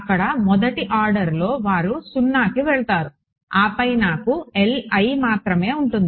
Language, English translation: Telugu, There first order they will go to 0 and then I will be left with L i’s right